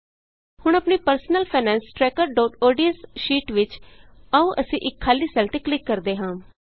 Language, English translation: Punjabi, Now in our personal finance tracker.ods sheet, let us click on a empty cell